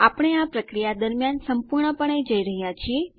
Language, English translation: Gujarati, We are going through these processes thoroughly